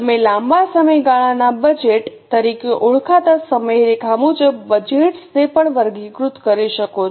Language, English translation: Gujarati, You can also classify the budgets as per the timeline that will be called as a long term budget